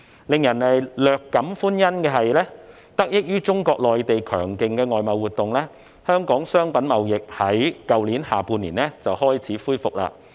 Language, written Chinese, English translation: Cantonese, 令人略感歡欣的是，得益於內地強勁的外貿活動，香港商品貿易在去年下半年已開始恢復。, What comes as quite a relief is that Hong Kongs merchandise trade has benefited from the strong external trade of the Mainland and started picking up since the latter half of last year